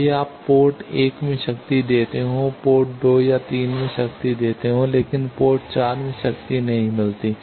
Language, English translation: Hindi, That, even if you give power at port 1 port 2 and 3 get powered, but port 4 do not get powered